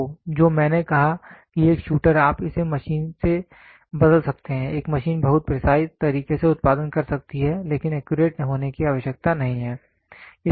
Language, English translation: Hindi, So, what I said a shooter you can replace it with a machine, a machine can produce path very precise, but need not be accurate